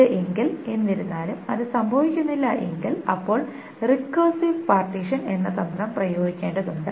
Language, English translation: Malayalam, If this however doesn't happen then the strategy called recursive partitioning needs to be employed